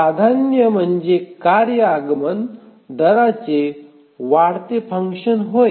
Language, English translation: Marathi, So the priority is a increasing function of the task arrival rate